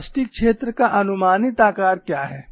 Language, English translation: Hindi, What is the approximate shape of plastic zone